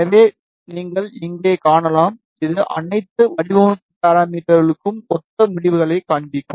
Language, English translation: Tamil, So, you can see here, it will show the results corresponding to all the design parameters